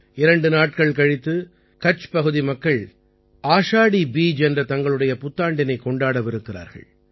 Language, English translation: Tamil, Just a couple of days later, the people of Kutch are also going to celebrate their new year, that is, Ashadhi Beej